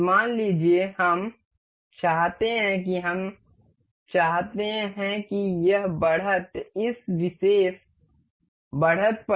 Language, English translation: Hindi, Suppose we want to we want this edge to stick on this particular edge